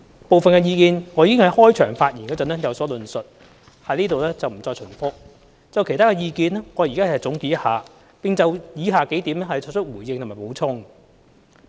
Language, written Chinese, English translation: Cantonese, 部分意見我已在開場發言有所論述，我在這裏不會重複，就其他的意見，我現在總結一下，並就以下數點作出回應和補充。, Some of the views have been discussed in my opening speech so I will not repeat them here . As for other views I would like to make a summary now . In addition I will make a response and provide supplementary information in relation to the following points